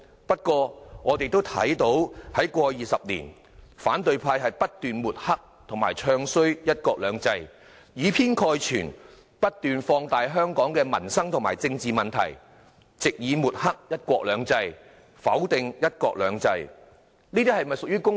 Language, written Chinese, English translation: Cantonese, 不過，我們也看到過去20年，反對派不斷抹黑和"唱衰""一國兩制"，以偏概全，不斷放大香港的民生和政治問題，藉以抹黑"一國兩制"，否定"一國兩制"，這是否公道？, That said we have noted that over the past 20 years the opposition camp has been smearing and bad - mouthing one country two systems mistaking the partial for the overall magnifying Hong Kongs political and livelihood problems to smear and negate one country two systems